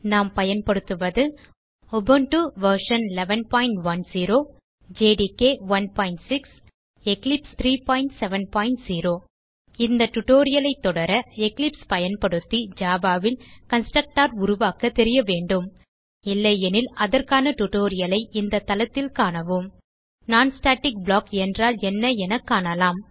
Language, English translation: Tamil, Here we are using Ubuntu version 11.10 Java Development Environment jdk 1.6 And Eclipse IDE 3.7.0 To follow this tutorial you must know How to create a constructor in Java using Eclipse If not, for relevant tutorials please visit our website which is as shown, (http://www.spoken tutorial.org) Now we will see what a non static block is